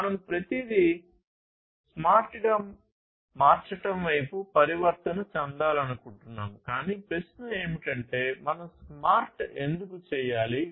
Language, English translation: Telugu, We want to transition towards making everything smart by, but the question is that why at all we need to make smart